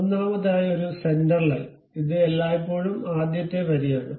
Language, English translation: Malayalam, First of all a centre line, this is always be the first line ok